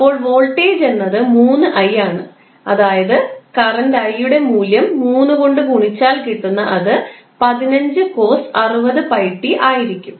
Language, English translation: Malayalam, So, voltage is nothing but 3i that is 3 multiplied by the value of current i that come out to be 15cos60 pi t